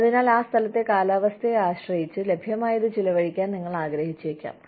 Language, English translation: Malayalam, So, depending on the climate of that place, and what is available, you might want to spend